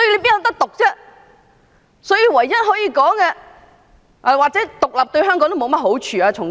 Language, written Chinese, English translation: Cantonese, 再者，從經濟角度而言，獨立對香港也沒有好處。, Moreover from an economic perspective independence is unfavourable to Hong Kong